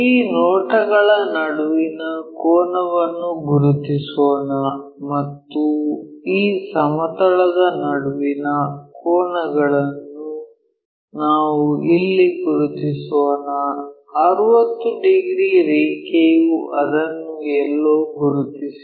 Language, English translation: Kannada, Let us mark the angle between that view and this plane supposed to be let us make it here 60 degrees line mark it somewhere there